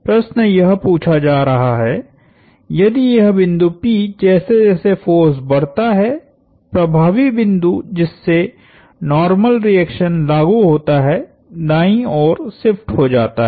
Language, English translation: Hindi, The question being asked is, if this point p as this force increases, the normal reaction the point through which the normal reaction the acts, the effective point through which the normal reaction acts shifts to the right